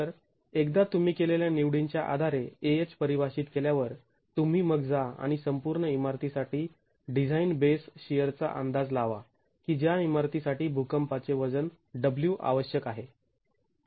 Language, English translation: Marathi, So, once AHH is defined based on the choices you have made, you then go and estimate the design base share for the total building which requires the seismic weight W of the building